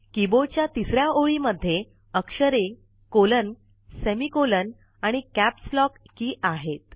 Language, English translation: Marathi, The third line of the keyboard comprises alphabets,colon, semicolon, and Caps lock keys